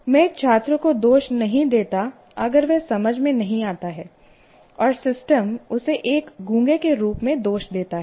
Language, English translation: Hindi, And I don't blame a student if he is not able to understand, say, and blame him as a dumb